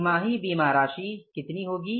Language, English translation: Hindi, Quarterly insurance amount will work out as how much